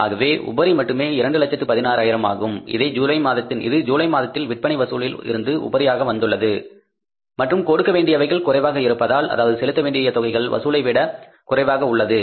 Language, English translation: Tamil, So only the surplus is 216,000 which has come in the month of July as a surplus from the sales collection and since the payments for less, disbursement were less as compared to the collections